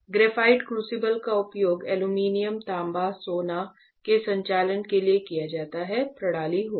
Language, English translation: Hindi, This is graphite crucible this is used for operating aluminum, copper, gold will be system